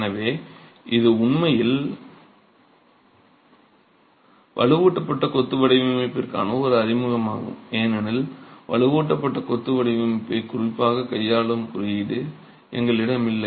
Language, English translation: Tamil, So, this is really an introduction to reinforced masonry design because we do not have a code that specifically deals with reinforced masonry design